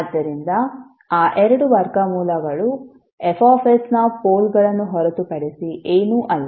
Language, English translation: Kannada, So those two roots will be nothing but the poles of F s